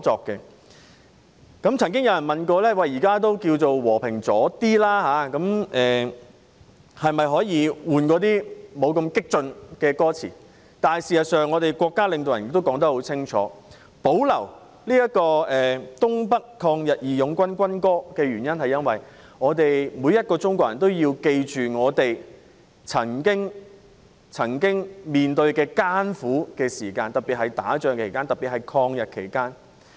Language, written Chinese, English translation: Cantonese, 有人曾問在和平時期，可否換一首歌詞不太激進的國歌，但我們國家領導人清楚表示，保留東北抗日義勇軍軍歌，因為每個中國人都應記住我們曾經面對的艱苦時間，特別是抗日戰爭時期。, Someone once asked whether during peacetime it could be replaced with another national anthem of which the lyrics were less aggressive but our state leaders clearly indicated that the military anthem of the Northeast Anti - Japanese Volunteer Army should be retained as every Chinese should remember our bitter past particularly the War of Resistance against Japanese Aggression